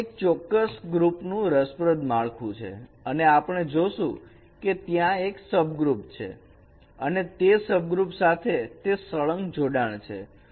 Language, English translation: Gujarati, So there are some interesting structure in this particular groups and we will see that there is a subgroups and there is a hierarchy among these subgroups